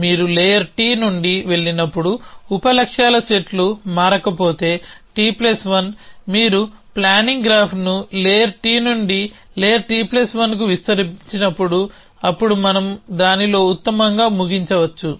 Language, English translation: Telugu, So, we have a set sub goals set of sub goal sets, if the set of sub goal sets does not change as you go from layer T layer, T plus 1 as you extend the planning graph from layer T to layer T plus 1 then we can terminate best in it